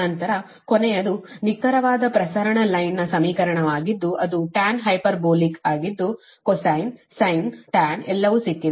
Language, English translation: Kannada, last one is that exact transmission line equation, that is your tan, hyperbolic, right, those things, whatever you have got, cosine, sin, tan, everything